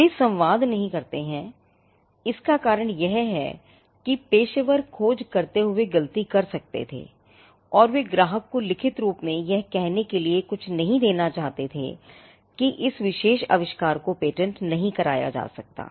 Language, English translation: Hindi, Now, the reason why they do not communicate it is—one they could have been wrong the professionals while doing the search they could have been wrong and they do not want to give the client something in writing to say that this particular invention cannot be patented